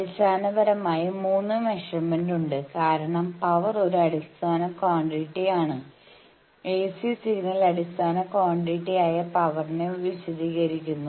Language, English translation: Malayalam, The fundamental 3 measurements are there, because if you want to know as I said that power is a fundamental quantity, also any ac signal description the basic fundamental quantities power